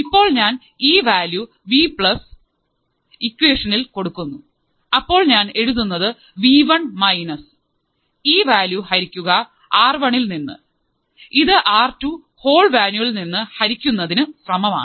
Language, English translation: Malayalam, Now, if I substitute the value of Vplus, if I substitute the value of Vplus in this equation, what I would write is V1 minus this value divided by R1 equals to R2 divided by this whole value